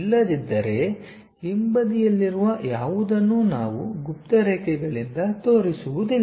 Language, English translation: Kannada, Otherwise, anything at back side we do not show it by hidden lines